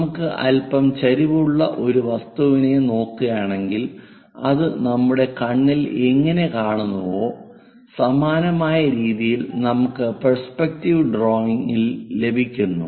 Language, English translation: Malayalam, If we are looking a object which is slightly incline to us how it really perceives at our eyes this similar kind of representation we go with perspective drawing